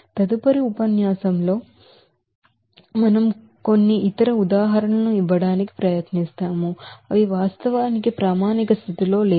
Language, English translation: Telugu, In the next lecture onward we will try to give some other examples, which are actually not in standard condition